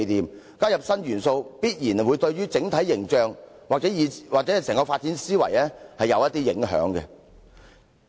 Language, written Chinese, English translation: Cantonese, 如貿然加入新元素，必然會對整體形象或整個發展思維有所影響。, If new elements are arbitrarily included it will certainly affect the entire image of WKCD or the whole line of thought for its development